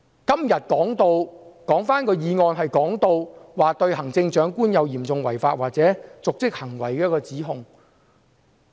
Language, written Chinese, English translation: Cantonese, 今天的議案是對行政長官有嚴重違法或瀆職行為的指控。, Todays motion charges the Chief Executive with serious breaches of law or dereliction of duty